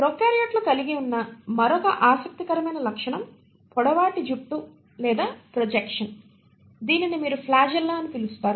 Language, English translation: Telugu, Another interesting feature which the prokaryotes have is a long hair like or projection which is what you call as the flagella